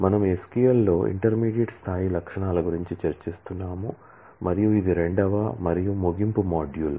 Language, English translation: Telugu, We have been discussing about intermediate level features in SQL; and this is a second and closing module on that